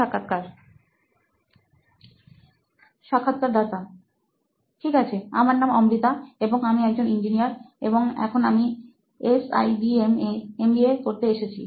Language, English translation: Bengali, Okay, my name is Amruta and I am an engineer and now I am here in SIBM to do my MBA